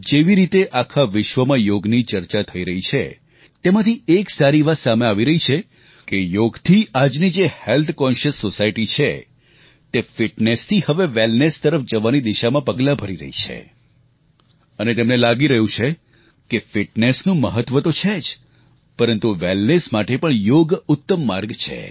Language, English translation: Gujarati, One significant outcome of the way the yoga is being talked about all around the world is the portent that today's health conscious society is now taking steps from fitness to wellness, and they have realised that fitness is, of course, important, but for true wellness, yoga is the best way